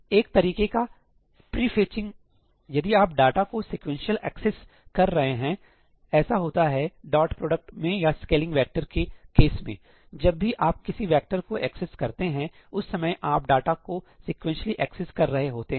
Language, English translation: Hindi, Or kind of pre fetching, if you are accessing data sequentially; which happen in the case of dot product or scaling a vector, whenever you are accessing a vector , you are accessing data sequentially